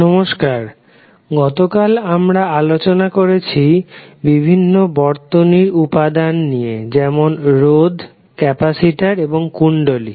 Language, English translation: Bengali, Namashkar, yesterday we spoke about the various circuit elements like resistance, inductance and capacitance